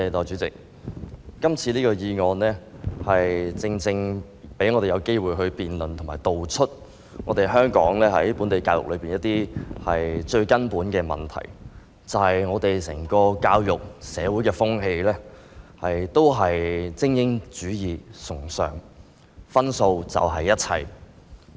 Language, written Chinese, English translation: Cantonese, 這項議案正好讓我們有機會辯論和道出香港本地教育的最根本問題，即我們的教育制度和社會風氣是崇尚精英主義，分數便是一切。, This motion exactly provides us with an opportunity to debate and expose the fundamental problem with education in Hong Kong that is our education system and social atmosphere uphold elitism and exam scores are everything